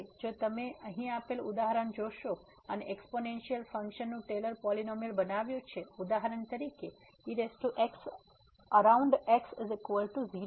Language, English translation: Gujarati, Now if you go through the example here and construct the Taylor’s polynomial of the exponential function for example, power around is equal to 0